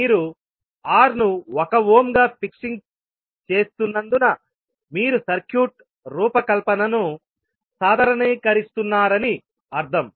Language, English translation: Telugu, Because you are fixing R as 1 ohm means you are normalizing the design of the circuit